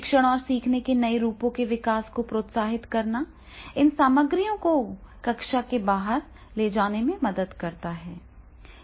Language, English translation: Hindi, Are stimulating the development of new forms of teaching and learning that carry the study of those materials outside and beyond the classroom